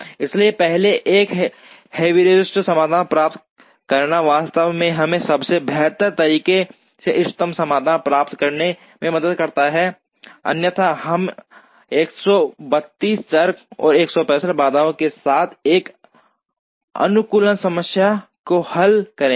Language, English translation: Hindi, So, getting a heuristic solution first, actually helps us in getting the optimum solution in a slightly better way, otherwise we would be solving an optimization problem with 132 variables and 165 constraints